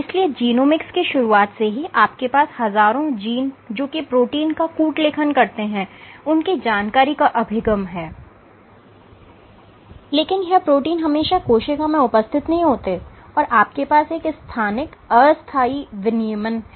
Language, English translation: Hindi, So, since the dawn of genomics you have access to information about thousands of genes which encode for proteins, but these proteins are not always present in cells and you have a spatio temporal regulation